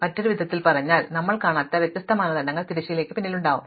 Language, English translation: Malayalam, So, in other words there might be different criteria which are behind the scenes which we do not see